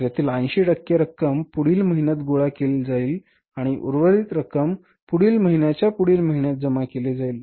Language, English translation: Marathi, So out of this 70% of this will be collected in the next month and then remaining amount will be collected in the next to next month